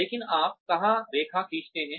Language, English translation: Hindi, But, where do you draw the line